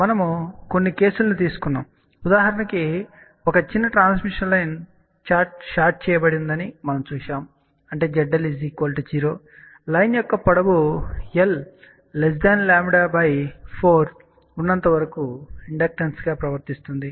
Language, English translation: Telugu, We took a few cases of that; for example, we saw that a small transmission line which is shorted; that means, Z L equal to 0 behaves as an inductance as long as the length of the line is less than lambda by 4